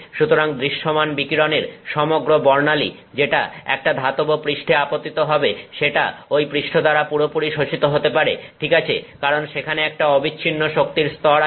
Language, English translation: Bengali, So, the entire spectrum of visible radiation that arrives at a metallic surface can be absorbed by that surface okay because there are a continuous set of energy levels